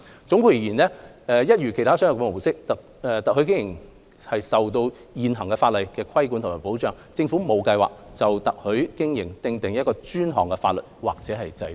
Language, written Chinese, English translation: Cantonese, 總括而言，一如其他商業模式，特許經營受現行法律規管及保障，政府並無計劃就特許經營訂定專項法例或制度。, In conclusion similar to other modes of business franchising is governed and protected by the existing law . The Government has no plan to introduce dedicated legislation or regulatory system specific to franchising